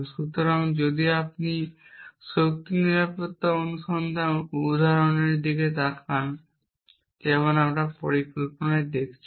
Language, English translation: Bengali, So, if you look at the power safety search example like we are looking at in planning